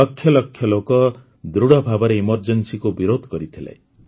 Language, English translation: Odia, Lakhs of people opposed the emergency with full might